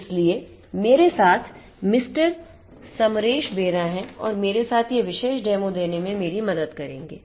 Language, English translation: Hindi, Samaresh Bera along with me will help me in giving this particular demo